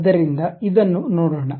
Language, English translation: Kannada, So, let us look at this